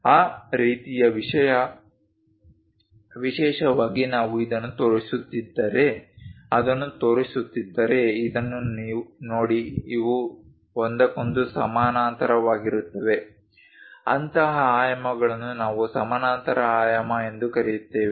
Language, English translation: Kannada, That kind of thing especially if we are showing it if we are showing this one this one this one, look at this these are parallel with each other; such kind of dimensions what we call parallel dimensioning